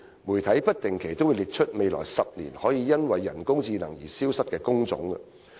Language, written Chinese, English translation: Cantonese, 媒體不定期都會列出未來10年可能會因人工智能而消失的工種。, The media will from time to time publish a list of job types that may disappear because of AI in the next decade